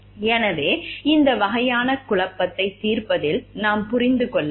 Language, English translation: Tamil, So, in solving this type of dilemma we have to understand